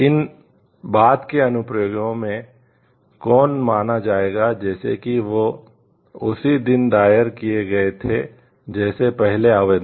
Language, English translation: Hindi, These subsequent applications will be regarded as if they had been filed on the same day as the first application